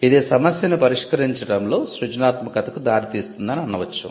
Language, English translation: Telugu, We say that it results in creativity in solving a problem